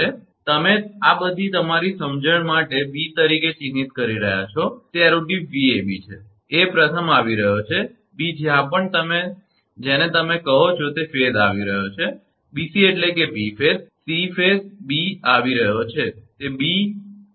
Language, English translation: Gujarati, So, this you mark as b for your understanding and it is arrow tip Vab, a is first coming b, wherever first your what you call that, phase is coming bc to bc means b phase, c phase b is coming it is b